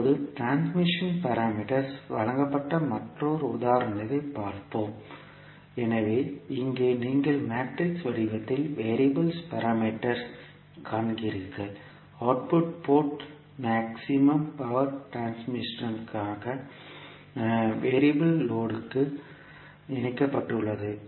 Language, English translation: Tamil, Now, let us see another example where the transmission parameters are given, so here you see the transition parameters in the matrix form, the output port is connected to a variable load for maximum power transfer